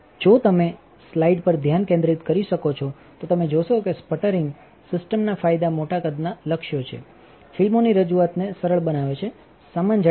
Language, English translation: Gujarati, If you can focus on the slide you will see that, the advantages of sputtering system are large size targets, simplifying the deposition of films, uniform thickness